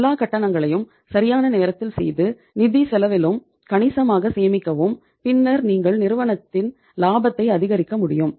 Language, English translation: Tamil, Make all the payments on time and save upon significantly save upon the financial cost also and then you can maximize the profits of the company